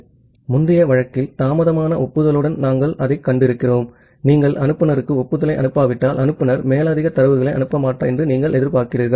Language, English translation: Tamil, So, in the earlier case what we have seen that well with the delayed acknowledgement, you are expecting that unless you are sending an acknowledgement to the sender, the sender will not send any further data